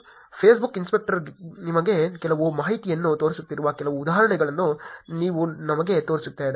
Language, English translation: Kannada, Whereas let me show you some examples where the Facebook inspector is actually showing you some information